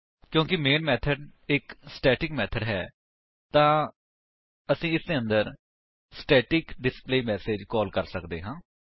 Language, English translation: Punjabi, Since main is a static method, we can call the static displayMessage inside this